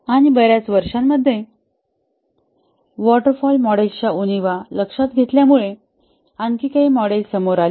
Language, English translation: Marathi, And over the years, few more models came up as the shortcomings of the waterfall model were noticed